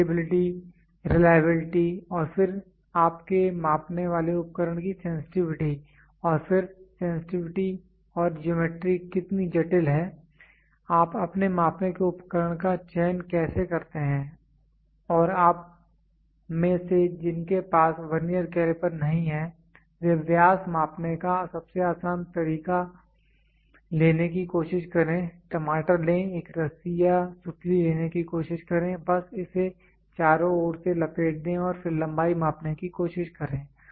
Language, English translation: Hindi, Repeatability, reliability and then what is then sensitivity of your measuring device and then how sensitivity and the geometry is complex how do you choose your measuring device and those of you who are not having a Vernier caliper will the easiest way of measuring diameters try to take the tomato try to take a rope or twine, just bind it around slip it off and then try to measure length